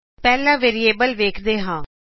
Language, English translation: Punjabi, First lets look at variables